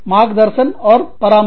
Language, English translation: Hindi, Guide and advise